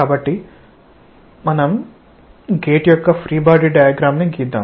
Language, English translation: Telugu, So, we draw the free body diagram of the gate